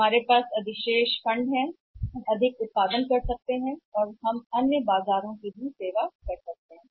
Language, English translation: Hindi, We have surplus funds we can produce more we can manufacturer more and we can serve the other markets also